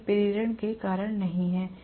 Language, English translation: Hindi, It is not because of induction